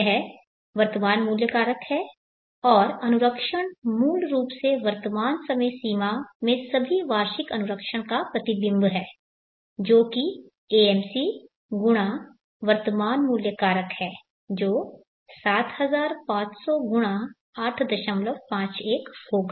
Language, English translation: Hindi, 51 this is the present worth factor and maintenance is basically refection of all the annual maintenances into the present time frame which is AMC x the present worth factor which is will be 7500 x 8